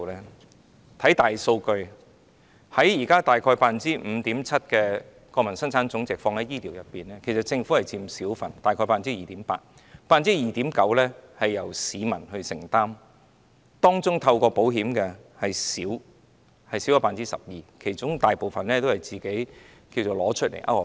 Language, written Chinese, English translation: Cantonese, 看看大數據，現時大約 5.7% 的本地生產總值投放在醫療方面，政府只佔小部分，大約 2.8%，2.9% 是由市民承擔，當中透過保險的少於 12%， 其餘大部分都是自行支付的。, Look at the big data and you will find that our health care expenditure as a percentage of our Gross Domestic Product is currently about 5.7 % of which the Government is responsible for a small portion of approximately 2.8 % while 2.9 % is borne by the people among whom 12 % meet the expenses by insurance and the rest pay for them themselves ie